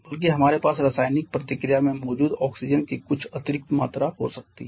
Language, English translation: Hindi, Rather we may have some additional amount of oxygen present in the chemical reaction